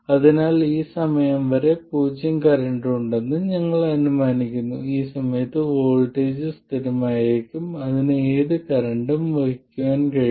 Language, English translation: Malayalam, So we assume that there is zero current up to this point and at this point the voltage will be constant and it can carry any current